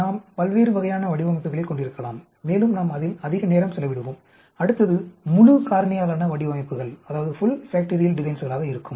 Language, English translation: Tamil, We can have different types of designs and we will spend more time as we go along and next will be the full factorial designs